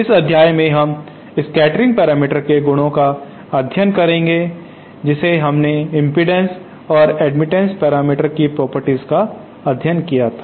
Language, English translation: Hindi, In this module we shall be studying the properties of the scattering parameters just like we studied the properties of the impedance and admittance parameters